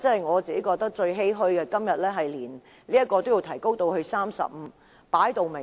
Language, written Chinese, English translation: Cantonese, 我感到最欷歔的是，今天竟要把這門檻提高至35人。, What I find most saddening is that today this threshold is to be raised to 35 Members